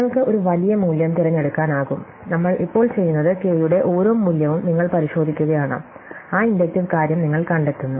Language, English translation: Malayalam, So, you can choose a large value and what we do is now you check for each value of k, you find that inductive thing